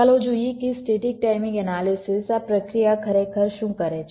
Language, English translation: Gujarati, let see, ah, what static timing analysis this process actually do